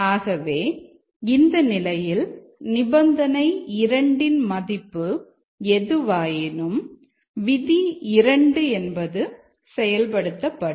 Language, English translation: Tamil, So, in that case, irrespective of the condition 2 value, the rule 2 will result in this action